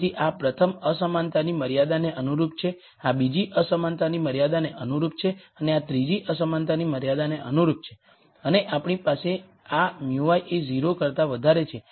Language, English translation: Gujarati, So, this is corresponding to the rst inequality constraint, this is corresponding to the second inequality constraint and this is corresponding to the third inequality constraints and we also have to have this mu i greater than equal to 0